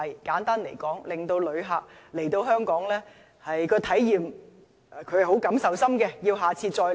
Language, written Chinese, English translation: Cantonese, 簡單來說，要令旅客對香港的體驗有很深的感受，會再度來港。, Simply put we should give visitors an impressive experience in Hong Kong so that they will come again